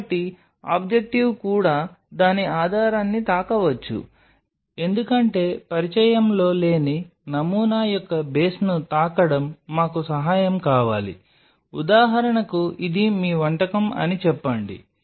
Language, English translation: Telugu, So, even objective can touch the base of it, because touching the base of the sample which is not in contact we want help very simply say for example, this is your dish